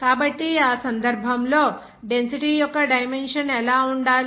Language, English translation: Telugu, So in that case, what should be the dimension of that density